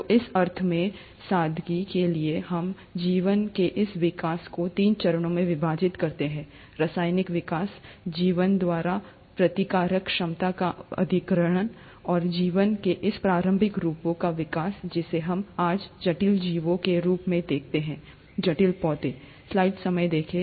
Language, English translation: Hindi, So, in that sense, for simplicity, we kind of divide this development of life into three phases, chemical evolution, acquisition of the replicative ability by life, and the evolution of these early forms of life into what we see today as complex organisms and complex plants